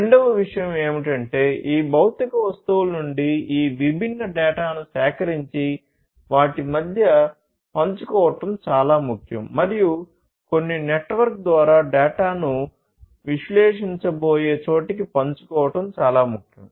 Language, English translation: Telugu, The second thing is that it is very important to collect these different data from these physical objects and share between themselves between themselves and also share the data through some network to elsewhere where it is going to be analyzed